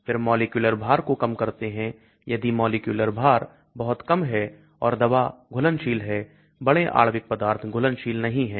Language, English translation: Hindi, Then reduce molecular weight, if the molecular weight is very small and the drug is soluble, large molecular materials are not soluble